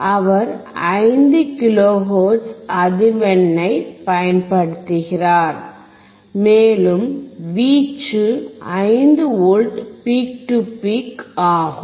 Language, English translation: Tamil, He has applied 5 kilohertz frequency, and the amplitude is 5 V peak to peak